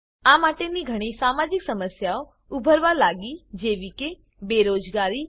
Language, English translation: Gujarati, These lead to a lot of social problems like: Unemployment